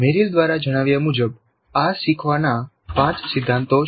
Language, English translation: Gujarati, So these are the five principles of learning as stated by Merrill